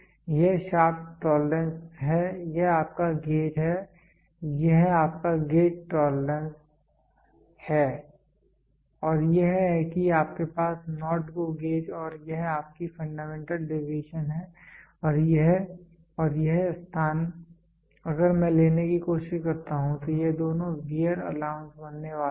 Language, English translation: Hindi, This is the shaft tolerance this is your gauge, this is your gauge tolerance and this is your NOT GO gauge and this is your fundamental deviation fundamental deviations and this and this space if I try to take these 2 are going to be the wear allowance